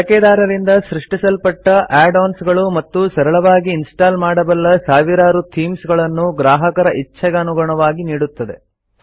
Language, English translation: Kannada, And it offers customization by ways of add ons and thousands of easy to install themes created by users